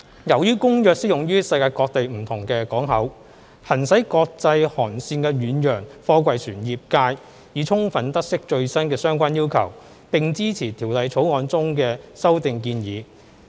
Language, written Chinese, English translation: Cantonese, 由於《公約》適用於世界各地不同的港口，行駛國際航線的遠洋貨櫃船業界已充分得悉最新的相關要求，並支持《條例草案》中的修訂建議。, Since the Convention is applicable to different ports in the world the operators of ocean - going freight container ships plying international shipping routes are fully aware of the latest requirements and they support the proposed amendments in the Bill